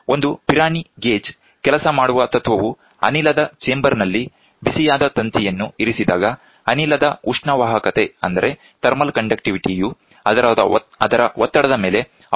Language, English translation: Kannada, The principle on which a Pirani gauge work is thus when a heated wire is placed in the chamber of gas, thermal conductivity of the gas depends on it is pressure